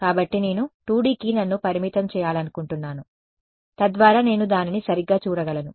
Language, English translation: Telugu, So, I want to restrict myself to 2 D so that I can visualize it ok